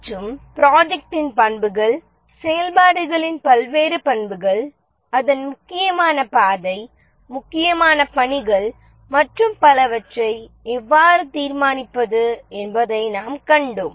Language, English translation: Tamil, And how to identify, determine the project characteristics, various characteristics of the activities, critical path, critical tasks, and so on